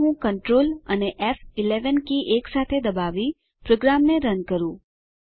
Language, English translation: Gujarati, Let meRun the program by pressing Control and F11 keys simultaneously